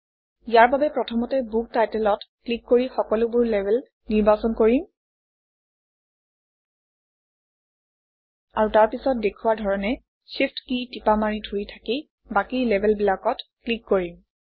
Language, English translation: Assamese, We will do this, by first selecting all the labels by clicking on the Book Title, And then while pressing the Shift key we will click on the rest of the labels as shown